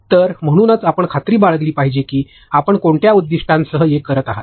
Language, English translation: Marathi, So, that is why you should be sure that for what goal are you making this